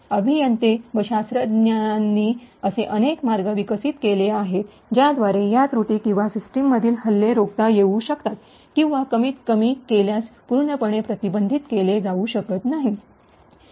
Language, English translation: Marathi, So there are many ways by which engineers and scientists have developed techniques by which these flaws or these attacks on systems can be actually prevented or if not completely prevented at least mitigated